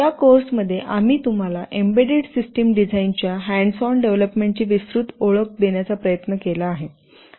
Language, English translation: Marathi, In this course, we have tried to give you a broad introduction to hands on development of embedded system design